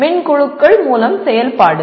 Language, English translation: Tamil, Activities through e groups